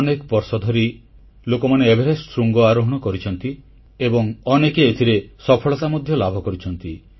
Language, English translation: Odia, People have been ascending the Everest for years & many have managed to reach the peak successfully